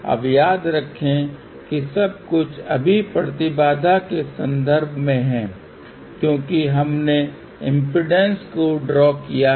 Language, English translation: Hindi, Now, remember everything is in terms of impedance right now ok because we are plotted impedance